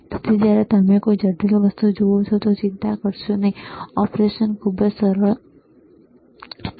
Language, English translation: Gujarati, So, do not worry when you look at something which is complex the operation is really simple, all right